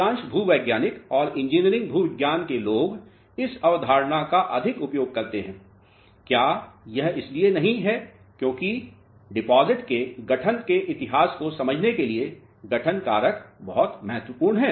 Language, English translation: Hindi, Most of the geologists and people in engineering geology they utilize this concept much more; is it not because the formation factor is very; very important term for understanding the history of formation of a deposit